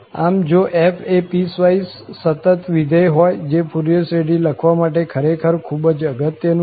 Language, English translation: Gujarati, So, if f is a piecewise continuous function, that is obviously important to write down the Fourier series itself